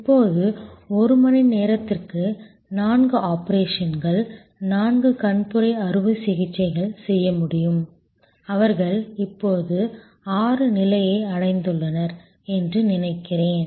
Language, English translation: Tamil, Now, about four operations, four cataract operations could be done per hour, I think they have now achieved the level of six